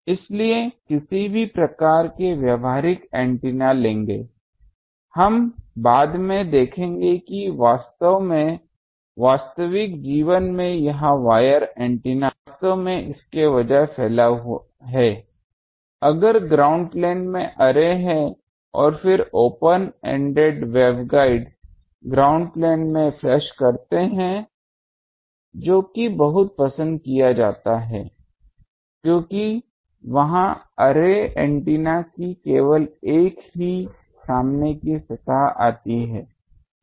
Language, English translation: Hindi, So, any type of practical antennas will do, we will see later that actually in real life this wire antennas actually they get protruded instead; if array is on a ground plane and then the open ended waveguides flush to the ground plane that is much preferred because they will only the one front surface comes of the array antenna